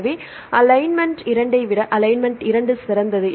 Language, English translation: Tamil, So, this is why alignment 2 is better than alignment one